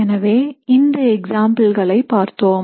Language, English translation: Tamil, So we had looked at these examples